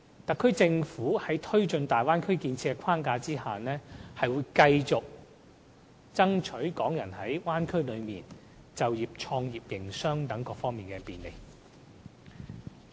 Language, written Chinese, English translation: Cantonese, 特區政府在推進大灣區建設的框架下，會繼續為港人爭取在大灣區就業、創業、營商等各方面的便利。, And within the framework of Bay Area development the SAR Government will continue to strive for more convenience for Hong Kong people in various areas including employment and business start - up and operation